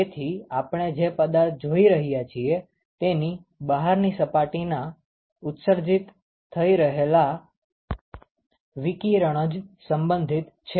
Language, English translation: Gujarati, So, what is relevant is only radiation which is emitted by the outer surface of that particular object that we are looking